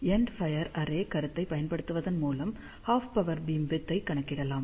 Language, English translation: Tamil, And by using the end fire array concept, we can calculate the half power beamwidth